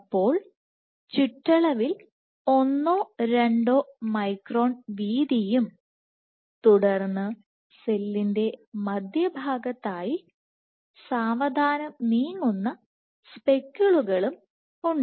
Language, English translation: Malayalam, So, one to two microns in width at the periphery and then there are slow moving speckles towards the center of the cell